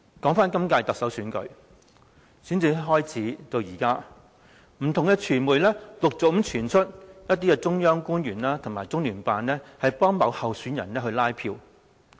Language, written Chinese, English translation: Cantonese, 今屆特首選舉的選戰從開始至今，不同傳媒陸續傳出一些中央官員和中聯辦協助某候選人拉票。, Since the commencement of the Chief Executive election campaign it has been reported by various media about officials from the Central Government and LOCPG canvassing for a certain candidate